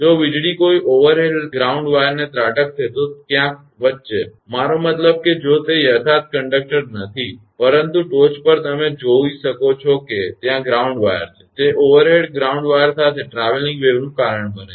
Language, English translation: Gujarati, If the lightning strikes an overhead ground wire, somewhere between; I mean if it is not exactly the conductor, but top you can see the ground wire is there, it causes a traveling waves along the overhead ground wire